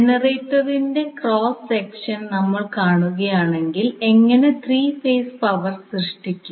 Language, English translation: Malayalam, So, if you see the cross section of the generator, how you generate the 3 phase power